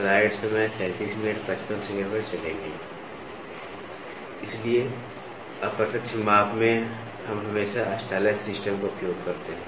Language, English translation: Hindi, So, in indirect measurement, we always use a stylus system